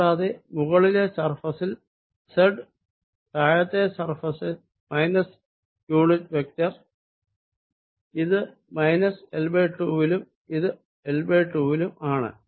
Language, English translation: Malayalam, and on the top surface z, bottom surface, minus unit vector, and this is at minus l by two and this is at l by two